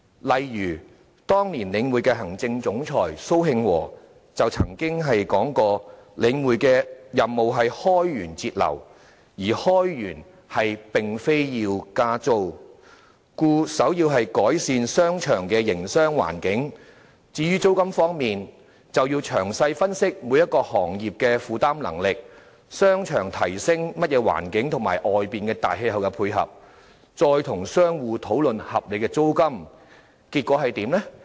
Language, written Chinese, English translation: Cantonese, 例如，當年領匯的行政總裁蘇慶和曾說領匯的任務是開源節流，而開源並非要加租，故首要之務是改善商場的營商環境；至於租金方面，便要詳細分析每個行業的負擔能力、商場提供的環境和市場的大氣候，再與商戶討論合理的租金水平。, For example the then Chief Executive Officer of The Link REIT Victor SO said back then The Link REIT had a mission to cut expenditures and raise revenues while raising revenues did not mean increasing rents so the prime task was to improve the business environment of shopping arcades . As for rents it was important to analyse the affordability of various trades and industries the environment provided by shopping arcades and the market atmosphere at large before discussing reasonable rental levels with shop operators